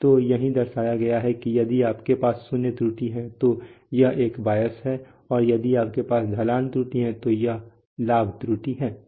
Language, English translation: Hindi, So that is what is depicted that if you have a zero error, so that is a bias and if you have a slope error that that is a gain error